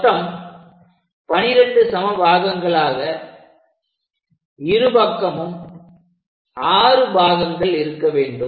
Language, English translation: Tamil, So, divide that into 12 equal parts which is 6 on both sides